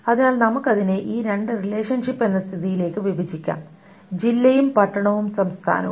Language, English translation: Malayalam, So let us break it down into these two relationships state with district and town and state